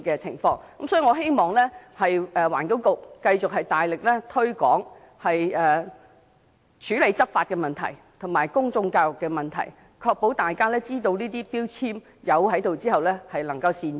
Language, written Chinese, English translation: Cantonese, 所以，我希望環境局繼續大力執法，並且加強公眾教育，確保消費者能善用能源標籤，作出明智的購物選擇。, The Environment Bureau should therefore push ahead with law enforcement and step up public education so as to ensure that consumers will make good use of energy labels to make wise purchase choices